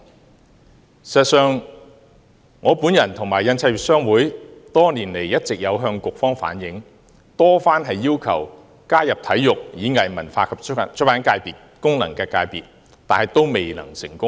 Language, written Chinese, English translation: Cantonese, 事實上，我與印刷業商會多年來一直有向局方反映，多番要求加入體育、演藝、文化及出版界功能界別，卻未能成功。, In fact HKPA and I have requested the Policy Bureau to include HKPA in the Sports Performing Arts Culture and Publication FC for many years but to no avail